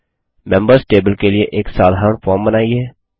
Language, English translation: Hindi, Create a simple form for the Members table